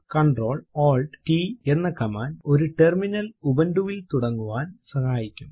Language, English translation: Malayalam, Ctrl Alt t helps to start a terminal in ubuntu